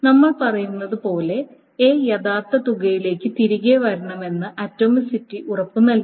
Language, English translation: Malayalam, So then as we have been saying the atomicity should guarantee that A should roll back to the original amount